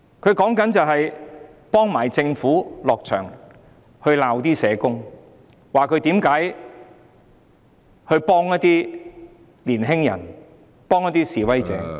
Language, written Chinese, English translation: Cantonese, 他是在幫政府責罵社工，批評他們為何幫助年青人和示威者......, He scolded the social workers on behalf of the Government criticizing them for helping the young people and protesters